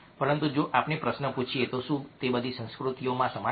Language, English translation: Gujarati, but if we ask the question, are they the same in all cultures